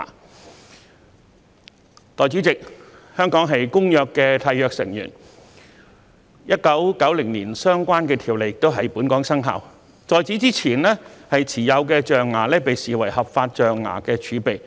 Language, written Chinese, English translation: Cantonese, 代理主席，香港是《公約》的締約成員 ，1990 年相關條例亦在本港生效，在此之前持有的象牙被視為合法象牙儲備。, Deputy Chairman as a signatory to CITES Hong Kong enforced the relevant provisions in 1990 while recognizing ivory in possession before that as legal ivory stock